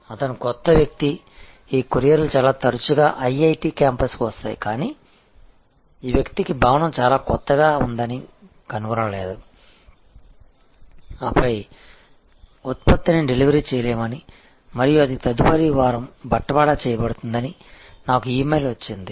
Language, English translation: Telugu, He was a new guy, these couriers come very often to IIT campus, but this guy did not find the building must have been quite newer whatever and then, I got an email saying that the product could not be delivered and it will be delivered next week